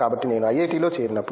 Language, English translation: Telugu, So, when I joined the IIT